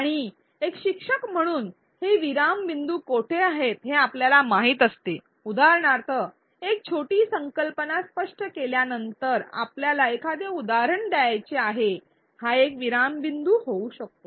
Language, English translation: Marathi, And as an instructor we know where these pause points are for example, after explaining a small concept for example, we want to give an example that could be a pause point